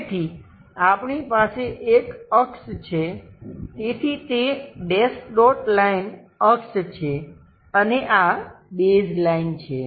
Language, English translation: Gujarati, So, we have an axis, so that axis is dash dot line, and this is the base line